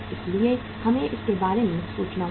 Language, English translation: Hindi, So we will have to think about it